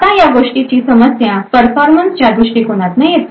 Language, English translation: Marathi, Now the problem with this thing comes from a performance perspective